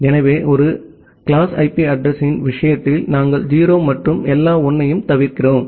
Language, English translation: Tamil, So, in case of a class A IP address we are omitting all 0’s and all 1’s